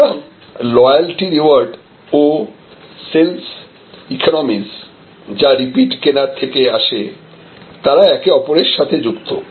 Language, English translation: Bengali, So, loyalty rewards and sales economies, which is coming from repeat buying should have a correlation